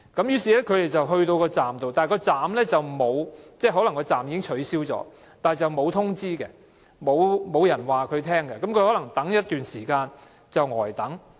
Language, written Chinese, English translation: Cantonese, 於是，他們到達巴士站時，可能車站已經取消但卻沒有通知，亦沒有人告訴他們，因而要呆等一段時間。, Therefore when they arrive at the bus stop and although the stop may have been cancelled no notification is given or no one is there to tell them and so they are made to wait pointlessly for a period of time